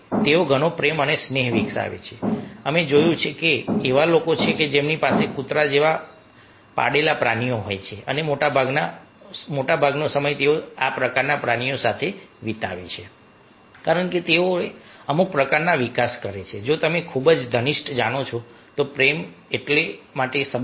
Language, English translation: Gujarati, ah, we have seen that there are people who are having the domestic animals, like dogs, and most of the time ah, ah, they are spending with these kind of animals because they develop some, some sorts of you know ah, very intimate a love, a relationship for them